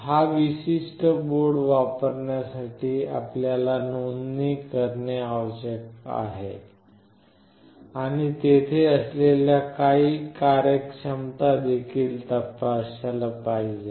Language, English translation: Marathi, For using this particular board you need to register, and you have to also check certain functionalities which are there, etc